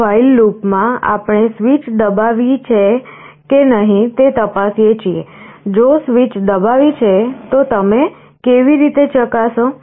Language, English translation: Gujarati, In this while loop, we are checking for a switch press; if a switch is pressed so how do you check